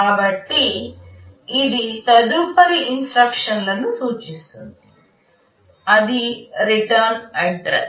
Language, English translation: Telugu, So, it is pointing to the next instruction, that is the return address